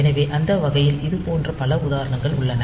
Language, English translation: Tamil, So, that way we can have many such examples